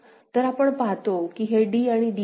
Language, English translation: Marathi, So, we see that d and d this is d and d right